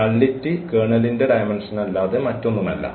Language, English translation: Malayalam, So, the nullity is nothing but the dimension of the kernel